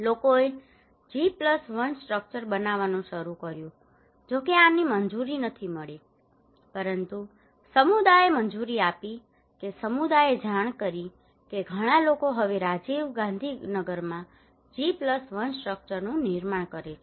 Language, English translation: Gujarati, People started to build G+1 structure in though this is not allowed, but community allowed that community reported that many people are now constructing G+1 structure in Rajiv Gandhi Nagar okay